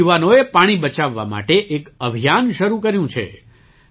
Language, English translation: Gujarati, The youth here have started a campaign to save water